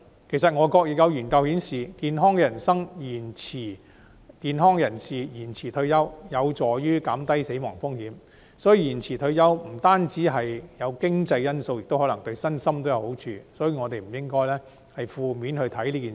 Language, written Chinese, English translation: Cantonese, 其實外國也有研究顯示，健康人士延遲退休有助減低死亡風險，所以延遲退休不單有經濟因素，亦可能對身心有好處，所以我們不應該從負面的角度看待這件事。, In fact overseas studies indicate that deferment of retirement is conducive to reducing the risk of death of healthy people . Therefore deferment of retirement is underpinned by not only economic factors but also physical and mental benefits . Therefore we should not look at the matter from a negative angle